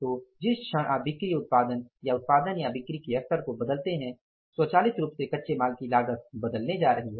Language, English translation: Hindi, So, the movement you change the level of sales and production or a production of say production and sales automatically the raw material cost is going to change